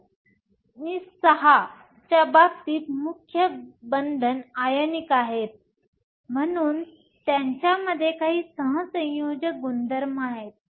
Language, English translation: Marathi, In case of II VI, the main bonding is ionic, so there is some covalent character in them